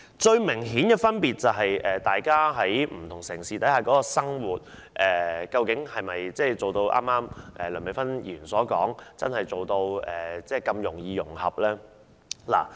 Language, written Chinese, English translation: Cantonese, 最明顯的是，不同城市的生活模式是否一如梁美芬議員剛才所說般真的如此容易融合呢？, Lifestyle is the most obvious example . Is it really so very easy to achieve the integration of various cities just as Dr Priscilla LEUNG has asserted?